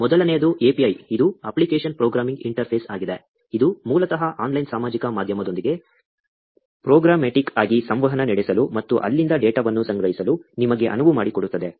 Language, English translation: Kannada, First, API, which is Application Programming Interface; this basically enables you to interact with the online social media, programmatically, and collect data from there